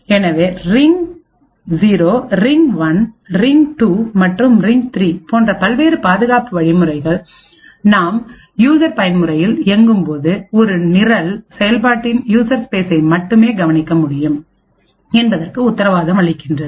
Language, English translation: Tamil, So, the various protection mechanisms like the ring 0, ring 1, ring 2 and ring 3 guarantee that when you are running in user mode a program can only observe the user space part of the process